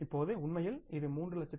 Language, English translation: Tamil, Now actually it becomes 3